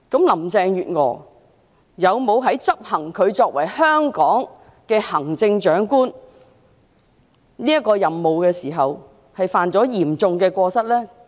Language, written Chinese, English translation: Cantonese, 林鄭月娥在執行作為香港行政長官這個任務時，有否犯下嚴重過失呢？, Has Carrie LAM committed any serious misconduct when performing her duties in her capacity as the Chief Executive of Hong Kong?